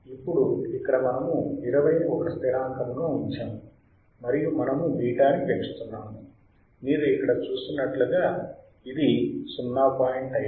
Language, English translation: Telugu, Now, here we are we are kept a constant of 20, and we are increasing the beta like you see here this is 0